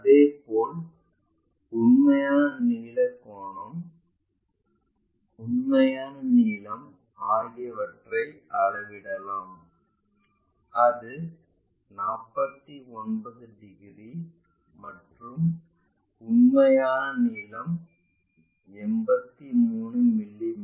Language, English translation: Tamil, Similarly, the true length angle, true length whatever it is inclination making let us measure that is 49 degrees and the true length is 83 mm